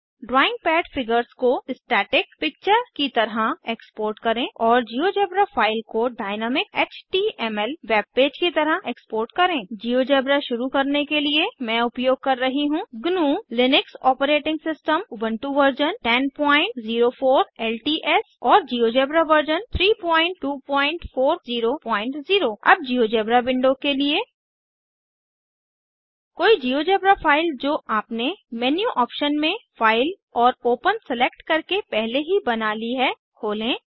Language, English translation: Hindi, To Export the drawing pad figures as a static picture And Export the GeoGebra file as a dynamic HTML webpage To get started with Geogebra, I am using the GNU/Linux operating system Ubuntu Version 10.04 LTS and the Geogebra version 3.2.40.0 Now to the GeoGebra Window